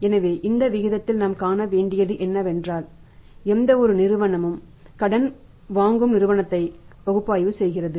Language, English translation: Tamil, So, in this ratio what we are to see is that is since any any firm is borrowing from the company which is making the analysis of the borrowing company